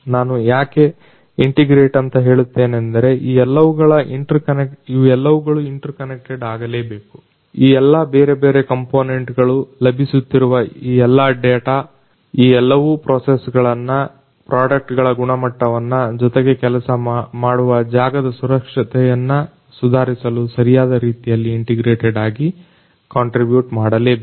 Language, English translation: Kannada, Why I say integrated is all of these things will have to be interconnected, all these different components, all these different data that are coming, all these should contribute in a holistic manner in an integrated manner in order to improve the processes, the product quality as well as the work place safety